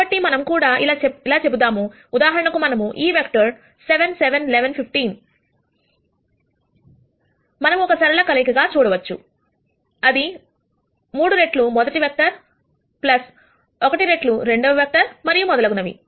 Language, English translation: Telugu, So, let us say for example, we have taken this vector 7 7 11 15, we can see that that can be written as a linear combination of 3 times the rst vector plus 1 times the second vector and so on